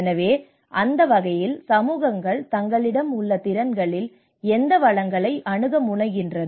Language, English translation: Tamil, So in that way communities tend to access these resources in whatever the capacities they have